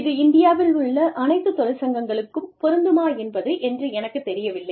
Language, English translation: Tamil, And, i am not sure, if this is applicable, to all unions, in India